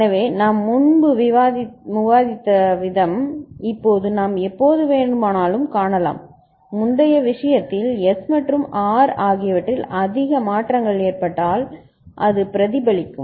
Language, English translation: Tamil, So, the way we had seen before, now we can see that whenever in the earlier case, if there were when it is high more changes in S and R occurs, I mean then it would have been reflected